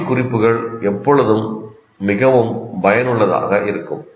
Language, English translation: Tamil, Visual cues are always more effective